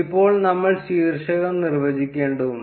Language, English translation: Malayalam, Then we need to define the title